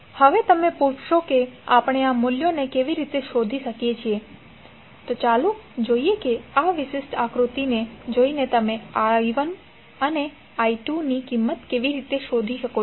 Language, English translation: Gujarati, Now you will ask how i will determine these values, so let us see how you can find out the value of i1 and i2 by seeing this particular figure